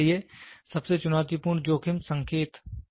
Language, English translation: Hindi, For example, the most challenging risk indicating